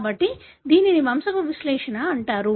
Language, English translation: Telugu, So, that is called as pedigree analysis